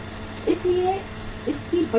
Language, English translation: Hindi, So it has a huge cost